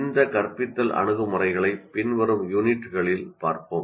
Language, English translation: Tamil, We will be looking at these instructional approaches in the following weeks